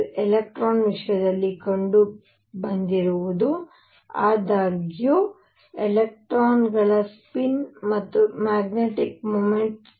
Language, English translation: Kannada, What was found in the case of electron; however, for electrons spin and the related the magnetic moment mu s